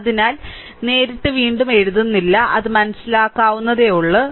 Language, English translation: Malayalam, So, directly I am not writing again, it is understandable to you, right